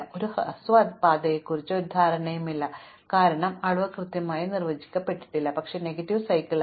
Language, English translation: Malayalam, There is no notion of a shortest path, because the quantity is not well defined, but it turns out that if I rule out this cycle, it could have negative edges, but not negative cycle